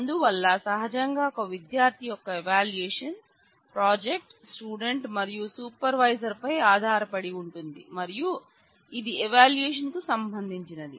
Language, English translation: Telugu, So, naturally the evaluation of a student will be dependent on the project, the student and the supervisor and that will relate to the evaluation